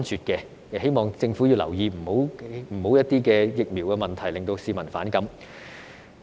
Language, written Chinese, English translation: Cantonese, 我希望政府留意，不要讓疫苗問題令市民反感。, I hope the Government will pay attention to this and not let the issue of vaccination create public resentment